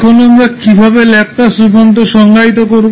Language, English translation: Bengali, Now, how we will define the Laplace transform